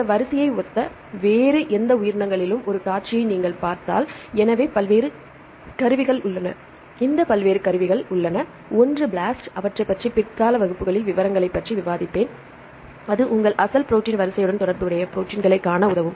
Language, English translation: Tamil, So, there are various tools if you see here there are various tools available, one is BLAST I will discuss the details in later classes right this will help you to see the proteins, which are related with your original protein sequence